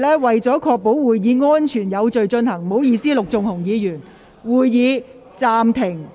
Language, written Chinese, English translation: Cantonese, 為確保會議安全有序進行，我會暫停會議，讓工作人員先行清理。, To ensure the safety and order of the meeting I will suspend the meeting so that the staff can clean up first